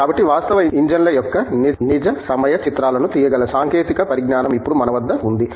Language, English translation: Telugu, So, we now have technology which can take real time images of actual engines